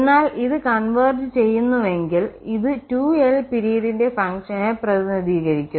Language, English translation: Malayalam, But if this converges, in that case if it converges this also represents a function of period 2l